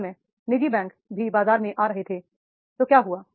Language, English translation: Hindi, That time private banks were also coming into the market